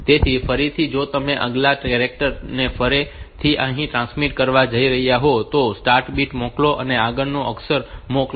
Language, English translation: Gujarati, So, again for if you are going to transmit the next characters again here to send a start bit and send the next character